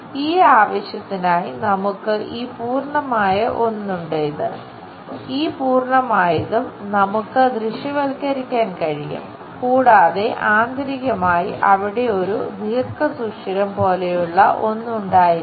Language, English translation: Malayalam, For that purpose, we have this complete one, this one; this complete one also we can visualize and internally, there might be a groove key kind of thing